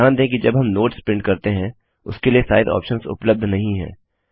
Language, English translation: Hindi, Notice that the Size options are not available when we print Notes